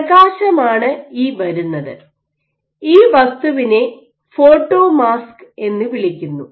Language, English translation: Malayalam, So, this gets passed and then this is your light coming, this object is called the photomask